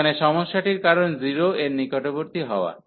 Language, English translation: Bengali, So, the problem here is when x approaching to 0